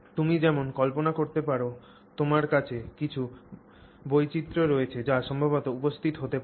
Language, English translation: Bengali, As you can imagine, then now you have some variations that are likely to come up